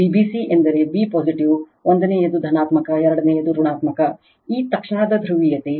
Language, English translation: Kannada, V b c means b positive 1st one is positive, 2nd one is negative right, this instantaneous polarity